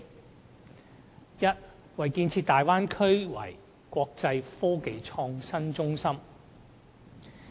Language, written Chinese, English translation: Cantonese, 第一，建設大灣區成為"國際科技創新中心"。, First Hong Kong shall participate in developing the Bay Area into an IT hub of the world